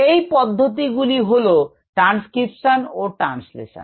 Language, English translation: Bengali, the genetic processes are transcription, translation